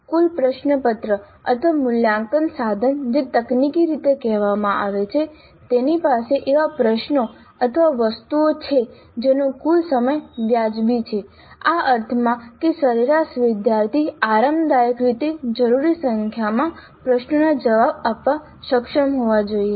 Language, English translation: Gujarati, This is very essential to ensure that the total question paper or assessment instrument as technical it is called has the questions or items whose total time is reasonable in the sense that the average student should be able to answer the required number of questions comfortably